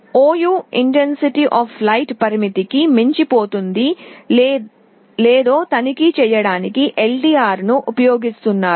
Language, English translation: Telugu, ou may be using the LDR to check whether the light intensity has fallen below a threshold